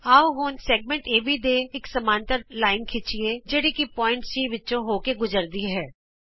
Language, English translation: Punjabi, Lets now construct a parallel line to segment AB which passes through point C